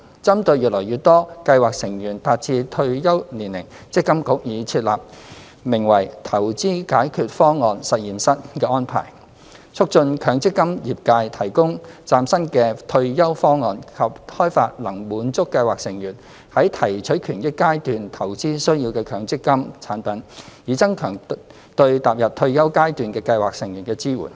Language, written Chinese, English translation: Cantonese, 針對越來越多計劃成員達至退休年齡，積金局已設立名為"投資解決方案實驗室"的安排，促進強積金業界提供嶄新的退休方案及開發能滿足計劃成員在提取權益階段投資需要的強積金產品，以增強對踏入退休階段的計劃成員的支援。, As more and more scheme members have reached the retirement age MPFA has put in place an arrangement named Investment Solutions Lab to enable the MPF industry to develop new retirement solutions and MPF products that would cater for the investment needs of scheme members in the withdrawal phase in order to step up support for scheme members entering the retirement stage